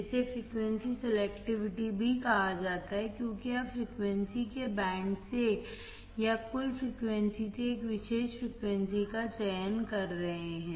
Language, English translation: Hindi, It is also called frequency selectivity because you are selecting a particular frequency from the band of frequencies or from the total frequencies